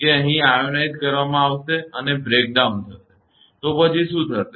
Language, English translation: Gujarati, That here will be ionized and breakdown, so what will happen